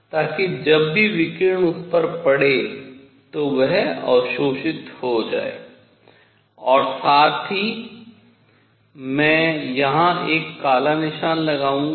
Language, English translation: Hindi, So, that whenever radiation falls on that it gets absorbed plus I will put a black spot here